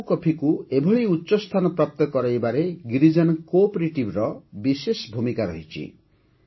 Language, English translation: Odia, Girijan cooperative has played a very important role in taking Araku coffee to new heights